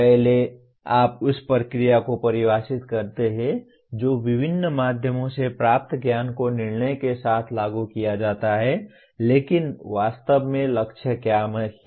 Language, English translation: Hindi, The first you define the process that is knowledge gained through various means is applied with judgment but what is the goal actually